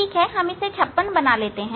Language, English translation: Hindi, if 56 let us take 30